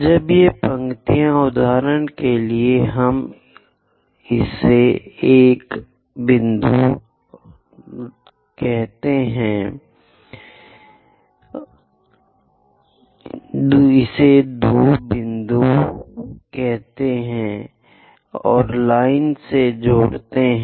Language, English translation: Hindi, When these lines; for example, let us pick this one, 1st point and 1st point join them by a line